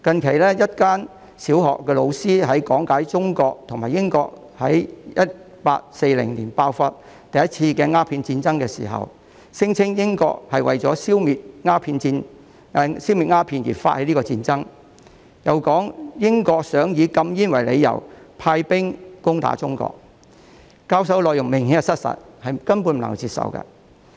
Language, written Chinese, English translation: Cantonese, 最近，一間小學的老師在講解中英兩國於1840年爆發第一次鴉片戰爭時，聲稱英國為了消滅鴉片而發起這次戰爭，又說英國想以禁煙為由，派兵攻打中國，所教授的內容明顯失實，根本不能接受。, Recently the teacher of a primary school when explaining the First Opium War between China and Britain which broke out in 1840 claimed that Britain initiated this war in order to eliminate opium and said that Britain wished to send troops to attack China on the ground of banning opium . What was taught is obviously untrue and simply unacceptable